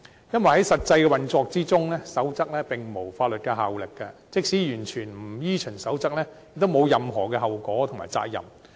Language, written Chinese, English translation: Cantonese, 因為在實際運作中，守則並無法律效力，即使完全不依循守則，亦沒有任何後果和責任。, I have great reservations about this approach because in practicality such codes of practice are not legally binding . Even if anyone utterly fails to follow them he will not have to bear any consequences or liabilities